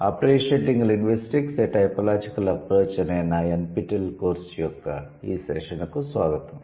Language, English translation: Telugu, Hello, everyone, welcome to this session of my NPTAL course, appreciating linguistics, a typological approach